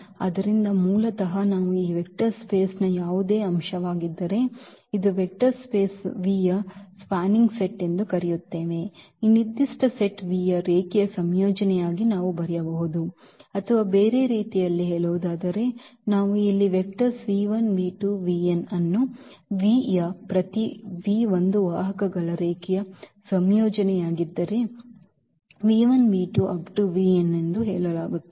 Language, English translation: Kannada, So, basically we call that this is a spanning set of a vector space V if any element of this vector space, we can write down as a linear combination of this given set V or in other words which we have written here the vectors v 1, v 2, v n in V are said to a span V if every v in V is a linear combination of the vectors v 1, v 2, v 3 v n